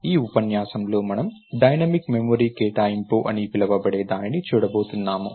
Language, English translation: Telugu, in this lecture, we are going to look at what is called Dynamic Memory Allocation